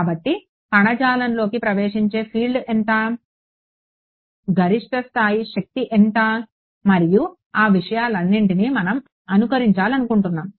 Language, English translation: Telugu, So, we want to simulate how much is the field that is entering the tissue, how much is the maximum power level and all of those things